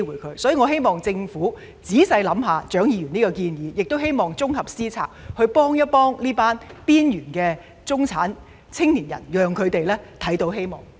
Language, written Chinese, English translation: Cantonese, 因此，我希望政府仔細考慮蔣議員的建議，綜合思考政策，幫助這群邊緣中產青年人，讓他們看見希望。, Therefore I hope that the Government will carefully consider Dr CHIANGs proposal and give holistic consideration to the policy so as to help this group of marginal middle - class young people and let them see hope